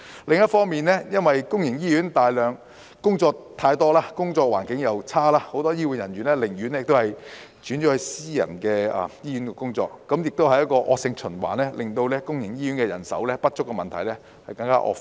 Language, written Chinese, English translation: Cantonese, 另一方面，因為公營醫院工作太多，工作環境差，很多醫護人員寧願轉投私營醫院，形成惡性循環，令公營醫院人手不足的問題更惡化。, On the other hand because of the heavy workload and poor working conditions in public hospitals many healthcare workers would rather work in private hospitals thereby creating a vicious circle which has worsened the manpower shortage in public hospitals